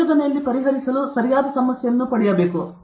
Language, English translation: Kannada, Getting the right problem to solve in research